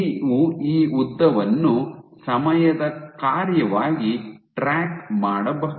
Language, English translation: Kannada, And you can track this length as a function of time